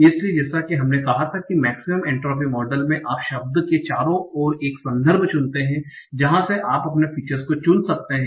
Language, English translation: Hindi, So as we had said, so in the maximum entry model, you choose a context around the word, from where you can choose your features